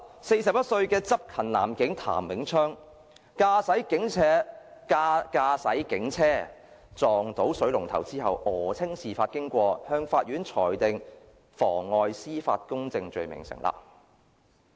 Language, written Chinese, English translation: Cantonese, 四十一歲的執勤男警譚永昌，駕駛警車撞到水龍頭後訛稱事發經過，法院裁定妨礙司法公正罪名成立。, TAM Wing - cheong a 41 - year - old police officer lied about the details of the incident after hitting a fire hydrant when driving a police car on duty . He was convicted of perverting the course of public justice